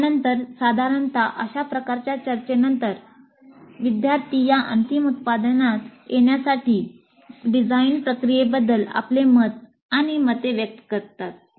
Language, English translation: Marathi, And this will be usually followed by some kind of a discussion where the students express their comments and opinions about the design process followed to arrive at this final product